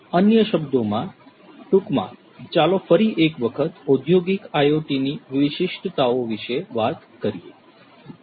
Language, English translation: Gujarati, In other words, in a nutshell; let us talk about the specificities of industrial IoT once again